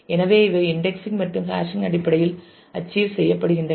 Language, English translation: Tamil, So, these are what are being achieved in terms of indexing and hashing